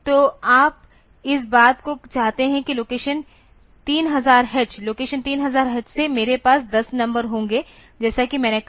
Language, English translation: Hindi, So, you want to have this thing that from location 3000 h from location 3000 h I will have 10 numbers as I said